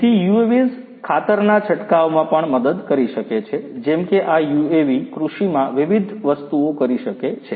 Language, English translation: Gujarati, So, UAVs could also help in spraying fertilizers like this UAVs can do number of different things in agriculture